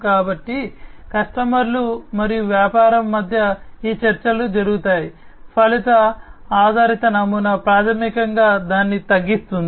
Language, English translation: Telugu, So, between the customers and the business this the negotiations that happen, you know, the outcome based model basically reduces it